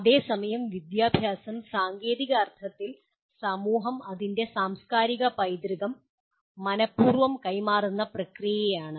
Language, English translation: Malayalam, Whereas education in its technical sense, is the process by which society deliberately transmits its “cultural heritage”